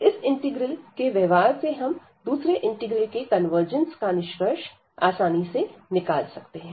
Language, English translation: Hindi, And based on the behaviour of this integral, we can easily conclude the convergence of the other integral